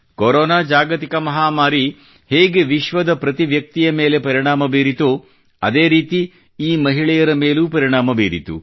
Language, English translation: Kannada, Just like the Corona pandemic affected every person in the world, these women were also affected